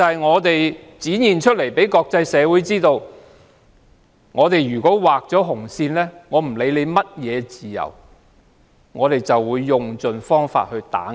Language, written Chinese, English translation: Cantonese, 我們要讓國際社會知道，如果畫上紅線，無論涉及甚麼自由，當局都會設法打壓。, We want the international community to know that if a red line is drawn the authorities will try to suppress all kinds of freedom